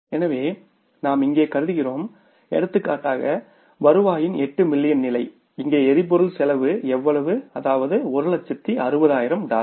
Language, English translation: Tamil, So, we are assuming here that for example 8 million level of the revenue your fuel cost is how much that is $160,000